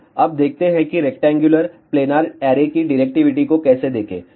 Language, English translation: Hindi, So, now let us see how to find the directivity of the rectangular planar array